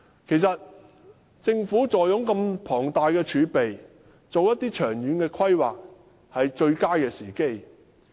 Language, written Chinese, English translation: Cantonese, 其實，政府坐擁如此龐大的儲備，正是制訂長遠規劃的最佳時機。, As a matter of fact with such huge reserves it is the best opportunity for the Government to formulate long - term planning